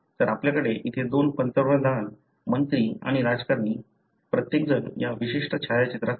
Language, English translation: Marathi, So, you have here two Prime Ministers, ministers and politicians, everyone in this particular photograph